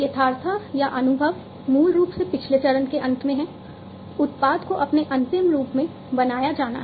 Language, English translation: Hindi, Perceiveness or perception is basically at the end of the previous phase, the product has to be built in its final form